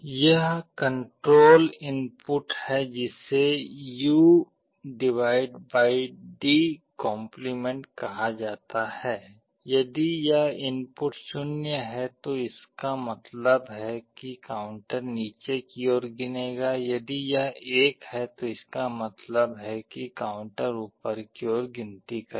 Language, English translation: Hindi, There is a control input called a U/D’, if this input is 0 this means the counter will count down, if it is a 1 this will mean the counter will count up